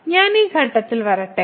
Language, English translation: Malayalam, So, let me just come to this point